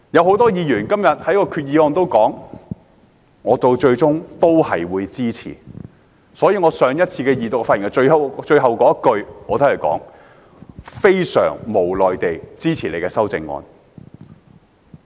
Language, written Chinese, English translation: Cantonese, 很多議員表示最終都會支持修正案，而我上次二讀發言時的最後一句是"非常無奈地支持你的修正案。, Many Members say that they will ultimately support the amendments and the final line of my speech at the Second Reading is I am left with no choice but to support your amendments